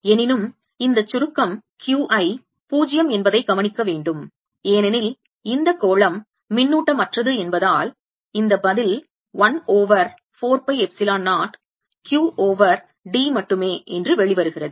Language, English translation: Tamil, however, notice that summation q i is zero because this sphere is uncharge and therefore this answer comes out to be one over four pi epsilon zero, q over d